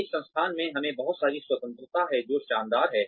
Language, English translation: Hindi, We also have a lot of freedom in this institute, which is fantastic